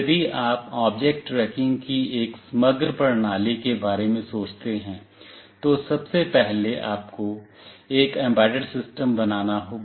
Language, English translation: Hindi, If you think of an overall system of object tracking, first of all you have to build an embedded system